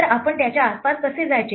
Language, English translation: Marathi, So, how do we get around this